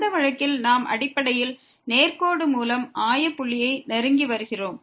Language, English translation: Tamil, In that case we are basically approaching to origin by the straight line